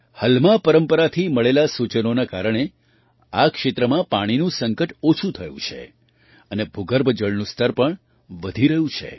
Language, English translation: Gujarati, Due to the suggestions received from the Halma tradition, the water crisis in this area has reduced and the ground water level is also increasing